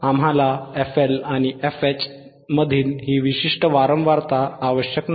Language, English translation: Marathi, We do not require this particular the frequency between FL and FH